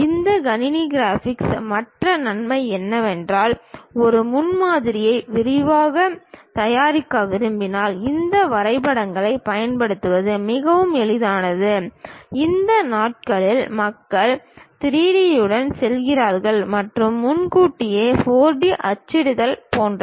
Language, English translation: Tamil, The other advantage of these computer graphics is if one would like to quickly prepare a prototype it is quite easy to use these drawings; these days people are going with 3D and the advance is like 4D printing